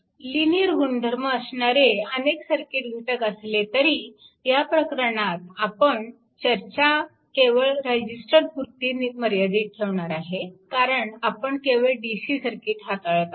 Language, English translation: Marathi, So, although linear property applies to many circuit elements right, but in this chapter, we will restrict it to the registers only because we have handling only dc circuit